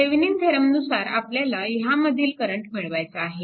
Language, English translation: Marathi, Using Thevenin theorem, you have to find out the current through this